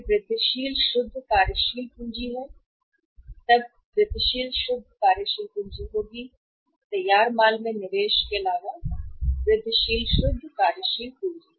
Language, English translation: Hindi, Then is the incremental net working capital; then will be the incremental net working capital, incremental net working capital other than the investment in the finished goods